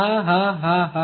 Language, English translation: Gujarati, Ha ha ha ha